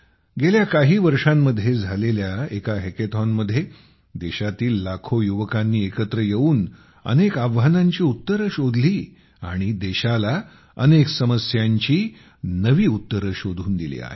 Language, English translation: Marathi, A hackathon held in recent years, with lakhs of youth of the country, together have solved many challenges; have given new solutions to the country